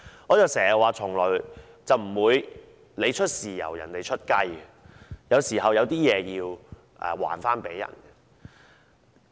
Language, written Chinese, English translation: Cantonese, 我經常說，從來不會出現"你出豉油人家出雞"的情況，有時候是要償還的。, As I always say the case where we offer the soy sauce while the other side offers the chicken can never happen